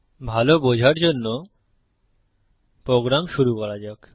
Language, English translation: Bengali, For a better understanding, let us start the program